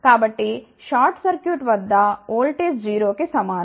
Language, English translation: Telugu, So, at short circuit voltage is equal to 0